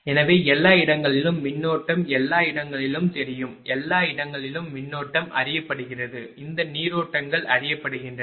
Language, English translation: Tamil, So, everywhere current everywhere current is known everywhere current is known this currents are known